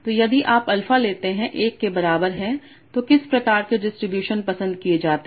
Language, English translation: Hindi, So if you take alpha is equal to 1, what kind of distributions are preferred